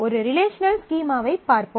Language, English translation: Tamil, So, let us look at a relational schema